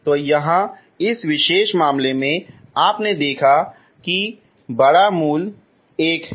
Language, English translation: Hindi, So here in this particular case you have seen first bigger root is 1